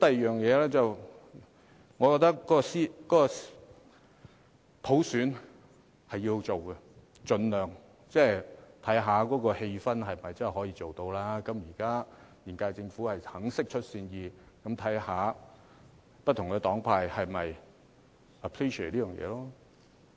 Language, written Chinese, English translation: Cantonese, 再者，我覺得普選是要進行的，盡量看看氣氛是否可以進行，現屆政府現在願意釋出善意，看看不同黨派是否樂見這點。, Moreover I hold that we should press ahead with the work of universal suffrage and try our best to assess whether the social atmosphere is suitable for doing so